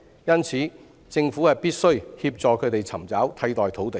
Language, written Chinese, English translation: Cantonese, 因而，政府必須協助他們尋找替代土地。, The Government thus has to assist them in finding alternative sites